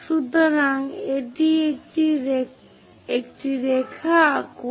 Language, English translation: Bengali, So, draw a line